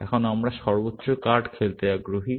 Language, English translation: Bengali, Now, we are interested in playing the highest card